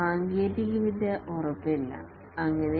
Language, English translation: Malayalam, The technology is not certain and so on